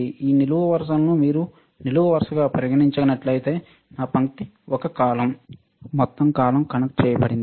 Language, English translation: Telugu, This whole column if you consider this as a column my line is a column, whole column is connected